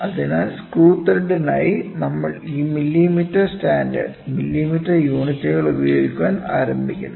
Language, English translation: Malayalam, So, we start using these millimetre standard, millimetre units for the screw thread